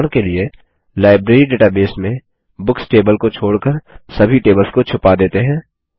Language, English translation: Hindi, As an example, let us hide all tables except the Books table in the Library database